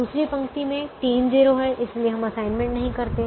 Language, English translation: Hindi, the second row has three zeros, so we don't make an assignment